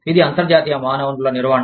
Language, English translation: Telugu, This is international human resource management